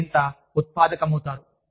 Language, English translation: Telugu, You become, more productive